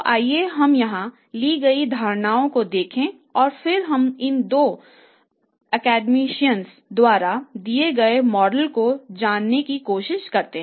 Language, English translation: Hindi, So let's see the assumptions taken here and then we try to understand the model given by these two academicians